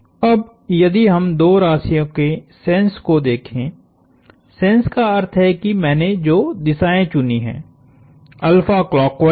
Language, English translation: Hindi, Now, if we look at the sense of the two quantities, sense meaning the directions I have chosen, alpha is clockwise